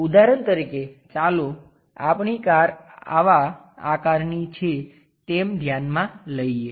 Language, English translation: Gujarati, For example, let us consider our car is of this kind of shape